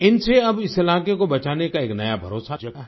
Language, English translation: Hindi, Through this now a new confidence has arisen in saving this area